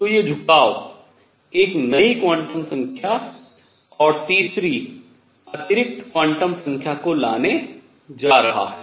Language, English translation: Hindi, So, these tilt is going to bring in a new quantum number, and additional third quantum number